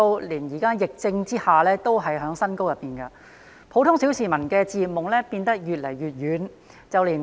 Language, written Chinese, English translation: Cantonese, 現時樓市升勢在疫情下仍然未減，普通小市民的置業夢變得越來越遠。, With property prices still on a rising trend amid the epidemic the dream of the general public to purchase homes is becoming more and more distant